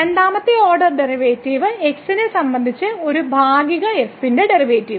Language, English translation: Malayalam, Then we have the partial derivative with respect to the first order partial derivative